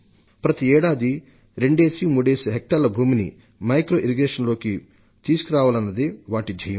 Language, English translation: Telugu, And they are striving to bring every year 2 to 3 lakh hectares additional land under micro irrigation